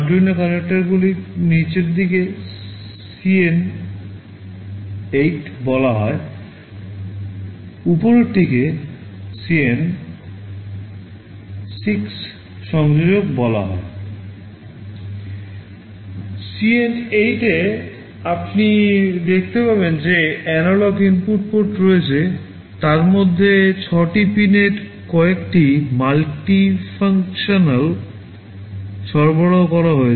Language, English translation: Bengali, In CN8 you will see there are the analog input ports, six of them are provided some of the pins are multifunctional